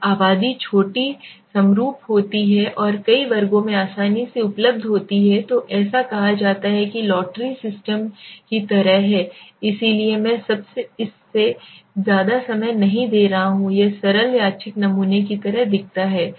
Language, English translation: Hindi, When the population is small homogenous and readily available in many classes is said right so this is like the lottery system okay so I m not spending too much of time in this so let me go to the how it looks like the simple random sampling